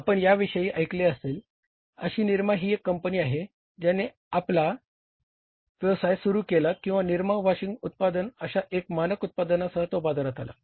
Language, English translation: Marathi, Nirma you must have heard about this is a company which started its business or came into the market with one standard product that was the Nirma washing powder